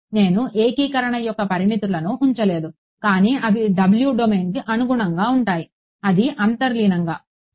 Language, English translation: Telugu, I have not put the limits of integration, but they correspond to the domain of w that is implicit ok